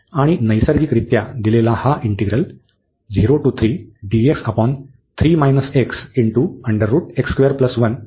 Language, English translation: Marathi, So, hence the given integral this also converges